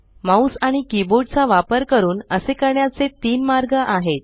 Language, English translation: Marathi, There are three ways of doing this using the mouse and the keyboard